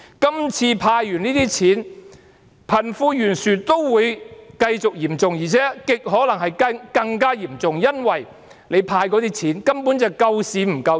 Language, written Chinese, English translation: Cantonese, 今次政府"派錢"後，貧富懸殊仍然繼續嚴重，而且極可能更加嚴重，因為所派發的錢，根本是救市不救人。, It keeps on moving and keeps on exacerbating wealth disparities . After this cash handout from the Government the wealth gap will still be wide and is very likely to be even wider because the cash handout is basically for saving the market not people